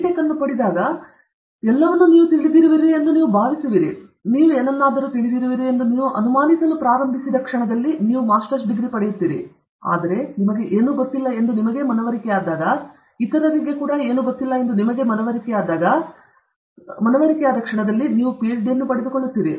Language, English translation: Kannada, Tech; if you begin to doubt that you know anything at all, you will get a Masters; but if you are convinced that you don’t know anything, but you are also convinced that others also don’t know anything, then you get a Ph